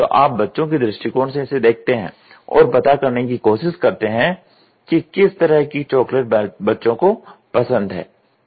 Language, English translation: Hindi, So, then you get into the shoe of a kid and see what all chocolates will the children accept